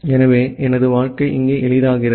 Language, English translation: Tamil, So, my life is simple here